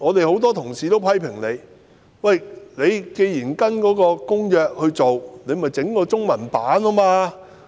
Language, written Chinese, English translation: Cantonese, 很多同事批評，既然政府要實施《公約》的規定，便應該製備中文本。, Many colleagues criticized the lack of a Chinese version given that the Government was to implement the requirements of the Convention